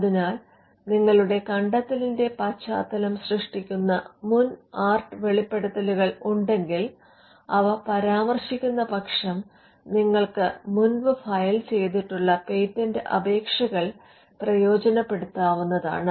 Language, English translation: Malayalam, So, if there are prior art disclosures which forms a background for your invention, you could just use them from other patent applications, provided you give the references to it